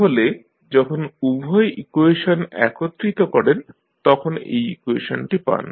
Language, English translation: Bengali, So, this is equation which you get when you combine both of the equations